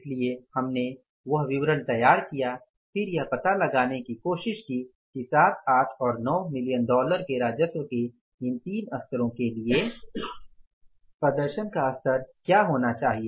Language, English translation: Hindi, So, we prepared that statement and then we tried to find out that what is the what should be the level of performance at these three levels of the revenue that is 7, 8 and 9 million dollars